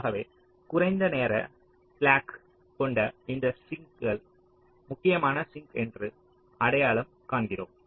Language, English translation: Tamil, so this sink which has the least timing slack, we identify that sink as the critical sink